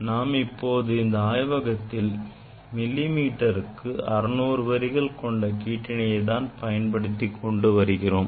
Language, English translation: Tamil, But present in laboratory I will use the 600 lines of lines per millimeter